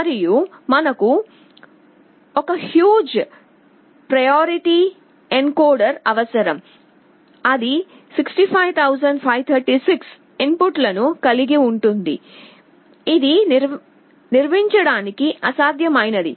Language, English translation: Telugu, And we need one huge priority encoder that will be having 65536 inputs, which is impractical to build